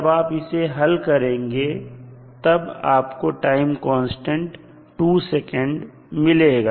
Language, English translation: Hindi, When you simplify you get the value of time constant that is 2 second